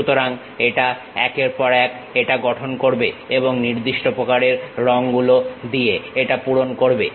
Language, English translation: Bengali, So, line by line it construct it and fills it by particular kind of colors